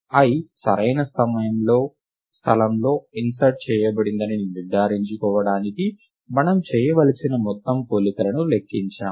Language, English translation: Telugu, we count the total number of comparisons that need to be made right, to ensure that i is inserted into the correct place